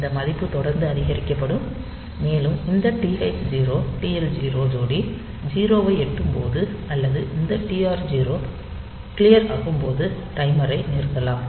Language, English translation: Tamil, So, they will be this value will be incremented continually, and it will stop when this TH 0 TL 0 pair will reach 0 or say this TR 0 has been is clear, like in a program after some time